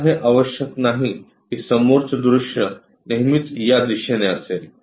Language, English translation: Marathi, Now it is not necessary that front view always be in this direction